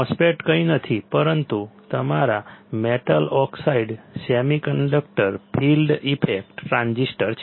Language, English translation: Gujarati, MOSFET is nothing, but your metal oxide semiconductor field effect transistors